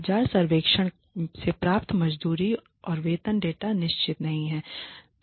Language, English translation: Hindi, Wage and salary data obtained from market surveys are not definitive